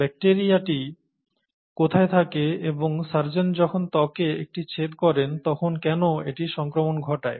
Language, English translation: Bengali, And, to, where is this bacteria and why should it cause infection when the surgeon is making an incision in the skin